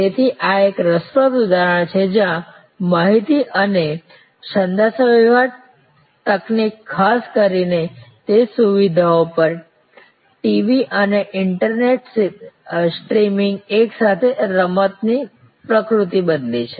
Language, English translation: Gujarati, So, this is an interesting example, where information and communication technology particular TV and internet streaming at that facilities have change the nature of the game all together